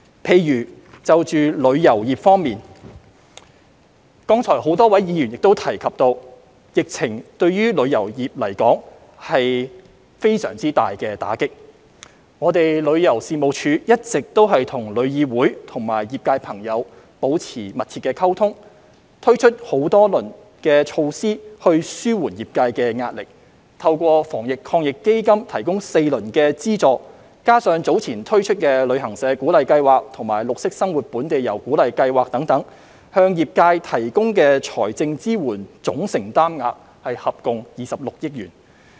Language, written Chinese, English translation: Cantonese, 例如旅遊業方面，剛才很多位議員亦提及，疫情對旅遊業是非常大的打擊，旅遊事務署一直與香港旅遊業議會和業界朋友保持密切溝通，推出多輪措施紓緩業界的壓力，透過防疫抗疫基金提供4輪資助，加上早前推出的旅行社鼓勵計劃及綠色生活本地遊鼓勵計劃等，向業界提供的財政支援總承擔額合共接近26億元。, Many Members have said just now that the epidemic has dealt a severe blow to the tourism industry . The Tourism Commission has been maintaining close communication with the Travel Industry Council of Hong Kong and members of the trade and has introduced several rounds of measures to alleviate the pressure on the trade including four rounds of subsidies through the Anti - epidemic Fund as well as the Travel Agents Incentive Scheme and the Green Lifestyle Local Tour Incentive Scheme launched earlier . The total commitment of financial support to the industry is close to 2.6 billion